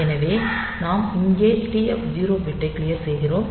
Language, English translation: Tamil, So, this is the TF 0 bit